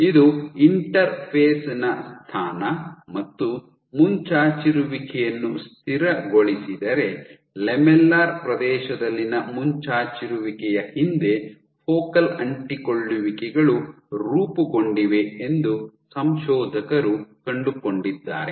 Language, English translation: Kannada, So, what the authors found wherever this protrusion was stabilized the authors found that focal adhesions were formed right behind the protrusion in the lamellar region